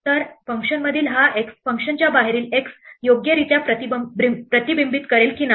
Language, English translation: Marathi, So, will this x inside the function correctly reflect the x outside the function or not